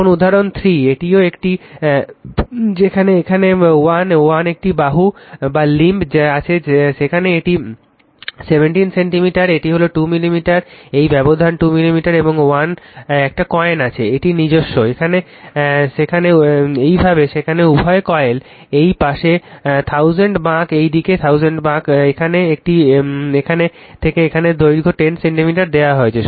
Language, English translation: Bengali, Now example 3, this is also one, where here is 1, 1 limb is there this is 17 centimeters right, this is 2 millimeter, this gap is 2 millimeter and 1 coin is there it is own, like this there both the coils this side 1000 turns this side is 1000 turns, here it is from here to here the length is given 10 centimeter